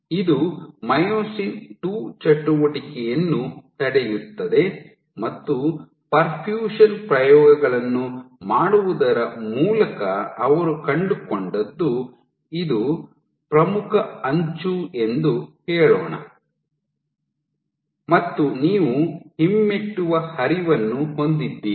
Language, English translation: Kannada, So, it inhibits myosin II activity and what they found was, so by doing perfusion experiments what they did was, let us say this is my leading edge and you have retrograde flow